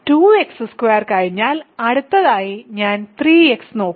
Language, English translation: Malayalam, So, I have taken care of 2 x squared next I look at 3 x